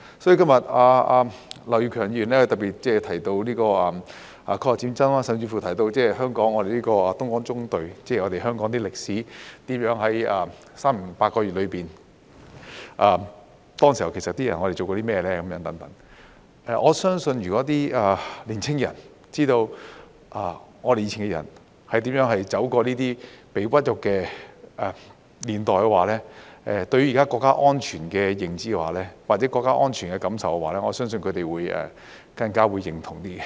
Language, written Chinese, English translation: Cantonese, 所以，今日劉業強議員特別提到抗日戰爭，甚至是香港東江縱隊的歷史，在3年零8個月中，當時的人其實做過甚麼等。我相信如果年輕人知道我們以前的人是如何走過這些屈辱的年代的話，對於現時國家安全的認知或國家安全的感受，我相信他們會更加認同。, In this connection today as Mr Kenneth LAU particularly mentioned the War of Resistance against Japanese aggression and even the history of the Dongjiang Column in Hong Kong and what people actually did during the Japanese occupation which lasted for three years and eight months I think if our young people can understand how the older generation had come through these humiliating times they will be more supportive in their understanding of or feelings about national security